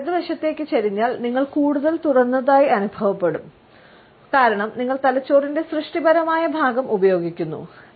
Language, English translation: Malayalam, If the head is tilted to the right, you will feel more open, as you are existing the creative part of the brain